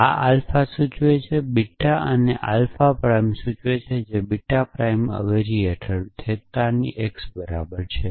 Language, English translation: Gujarati, So, this is alpha implies beta and this becomes alpha prime implies beta prime under the substitution theta is equal to x